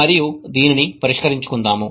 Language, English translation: Telugu, And that is what we want to solve